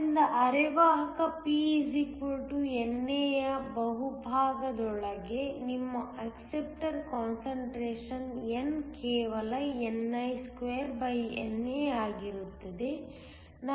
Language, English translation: Kannada, So, within the bulk of semiconductor P = NA, which is your acceptor concentration N will just be ni2NA